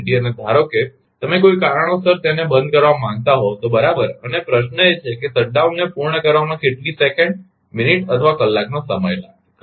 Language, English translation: Gujarati, And suppose you want to shut down it due to some reason right and question is that how many how many second minutes or hour it will take to complete the shut down right